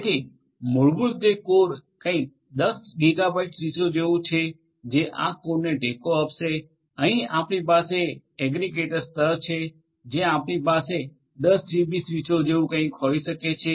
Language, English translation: Gujarati, So, core basically will be something like 10 gigabit switches will support this core, here also you are going to have at the aggregator level also you can have something like 10 GB switches